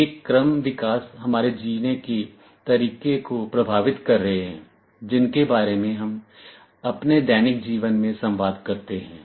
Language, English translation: Hindi, These developments shall be influencing the way we live, we communicate in our daily life